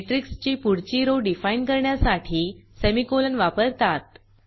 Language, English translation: Marathi, Note that Semicolon is used for defining the next row of the matrix